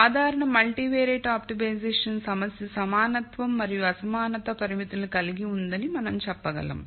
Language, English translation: Telugu, So, general multivariate optimization problem we can say has both equality and inequality constraints